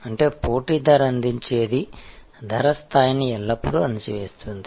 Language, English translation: Telugu, That means, what the competition is offering that is always squeezing the price level